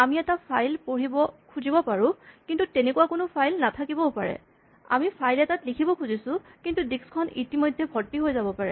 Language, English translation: Assamese, So, we may be trying to read from a file, but perhaps there is no such file or we may be trying to write to a file, but the disc is actually full